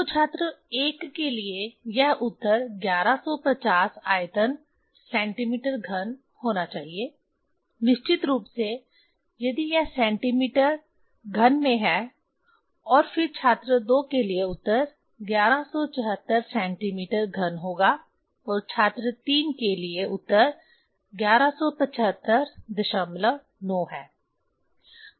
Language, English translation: Hindi, So, this for student 1 this answer should be the 1150 volume cm cube, of course, if it is in centimeter cm cube and then for student 2 the answer will be 1174 cm cube; and that for student 3 the answer is 1175